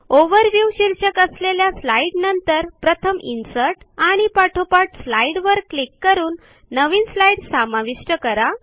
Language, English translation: Marathi, Insert a new slide after the slide titled Overview by clicking on Insert and Slide